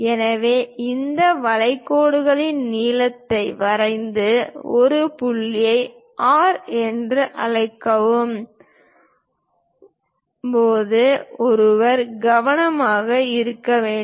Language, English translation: Tamil, So, one has to be careful while drawing these arcs length and let us call this point R